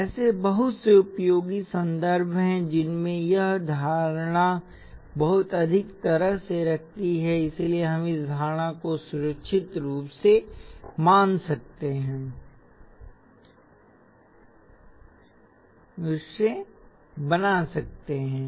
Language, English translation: Hindi, There are lot of very useful context in which this assumption holds very well, so we can make this assumption safely